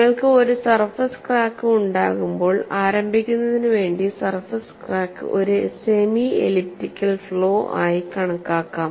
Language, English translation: Malayalam, When you have a surface crack, the surface crack can be idealized as a semi elliptical flaw to start with